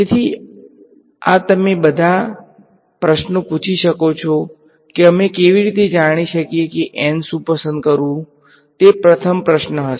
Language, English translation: Gujarati, So, this you can ask lots of questions how do we know what n to choose that would be the first question right